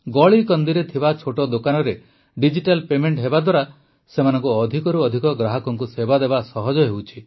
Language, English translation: Odia, In the small street shops digital paymenthas made it easy to serve more and more customers